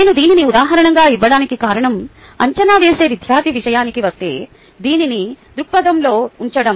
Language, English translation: Telugu, the reason i gave this as an example is for us to put this in perspective when it comes to student going through the assessment